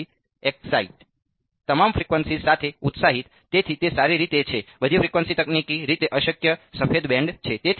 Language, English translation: Gujarati, Excited with all frequencies right; so, that is well all frequencies is technically impossible white band right